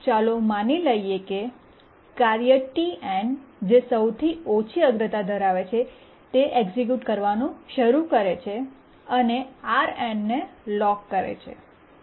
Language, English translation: Gujarati, Now let's assume that initially the task TN which is the lowest priority starts executing and it locks RN